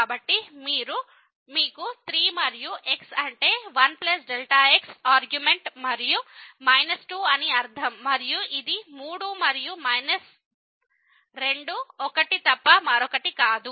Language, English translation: Telugu, So, you have the 3 and the argument and minus 2 and this is nothing but 3 and minus 2 1